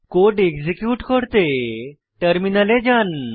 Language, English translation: Bengali, Lets execute the code.Go to the terminal